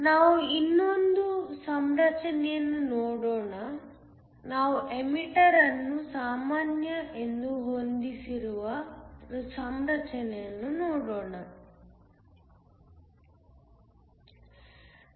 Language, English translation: Kannada, Let us look at one more configuration, we look at a configuration where we have the emitter being set as common